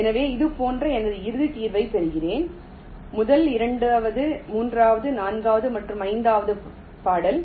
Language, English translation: Tamil, so i get my final solution like this: first, second, third, fourth and fifth track